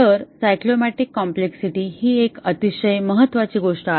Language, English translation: Marathi, So, the cyclomatic complexity is a very important number